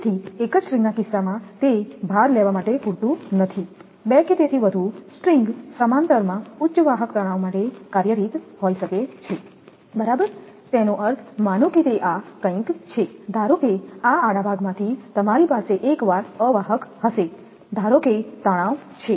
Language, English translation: Gujarati, So, in case of a single string is not sufficient to take the load two or more string in a parallel may be employed for higher conductor tension right; that means, suppose it is something like this, suppose from the say cross arm you have once insulator suppose it tension